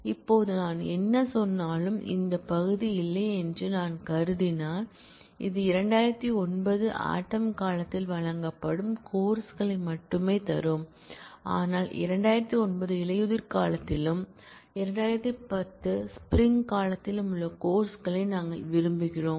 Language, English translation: Tamil, Now, we need to ensure that whatever I mean, if I assume that after this this part were not there, then this will only give me courses which are offered in fall 2009, but we want the courses that are in fall 2009 and in spring 2010